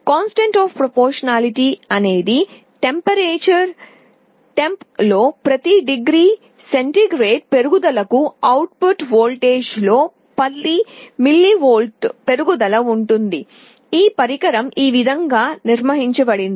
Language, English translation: Telugu, The constant of proportionality is such that there will be an increase in 10 millivolts in the output voltage for every degree centigrade rise in the temperature, this is how this device has been built